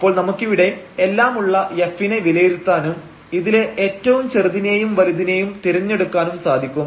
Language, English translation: Malayalam, So, we can evaluate f at all of them and choose the largest and the smallest values